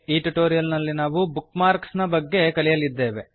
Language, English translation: Kannada, In this tutorial, we will learn about Bookmarks